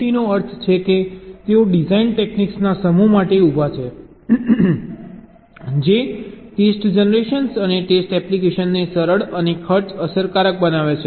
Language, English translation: Gujarati, d, f, t means they stand for a set of designed techniques that makes test generation and test application easier and cost effective